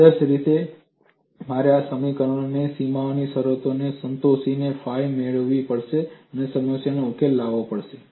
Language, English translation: Gujarati, Ideally I have to get phi satisfying this equation and the boundary conditions and solve the problem